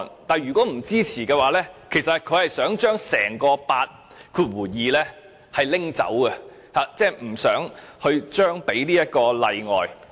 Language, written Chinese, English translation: Cantonese, 但是，如果不支持《條例草案》的同事，便想將整項第82條刪除，即不想給予這個例外。, Those who do not support the Bill on the other hand would rather remove the entire clause 82 and eliminate this exemption altogether